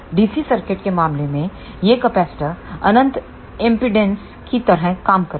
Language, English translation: Hindi, In case of DC circuit these capacitors will act like a infinite impedance